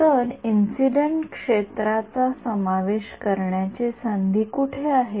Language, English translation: Marathi, So, where is the scope to introduce incident field